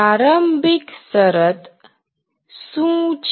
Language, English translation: Gujarati, What is the initial condition